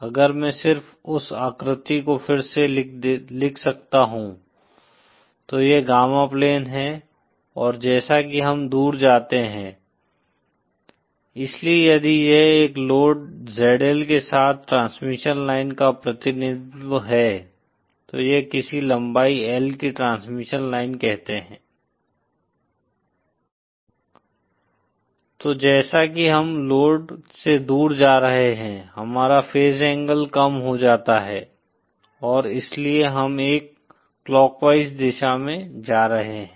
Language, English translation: Hindi, If I can just redraw that figureÉso this is the gamma plane and as we go awayÉso if this is the representation of a transmission line with a load ZL connected then, and say this is a transmission line of some length L, then as we are going away from the load, our phase angle decreases and thatÕs why we are going in a clockwise direction